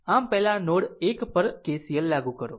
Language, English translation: Gujarati, So, first you apply KCL at node 1